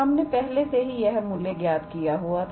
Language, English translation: Hindi, We have already calculated this value here